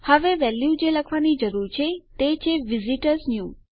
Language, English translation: Gujarati, And the value that I need to write is visitorsnew